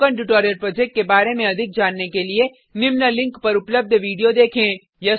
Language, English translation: Hindi, To know more about spoken tutorial project, watch the video available at the following link